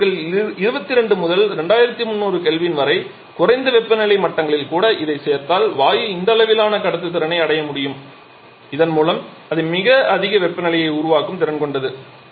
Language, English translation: Tamil, One these materials once we add to this even at low temperature levels of 22 to 2300 Kelvin the gas may be able to achieve this level of conductivity and thereby it is capable of producing very high temperatures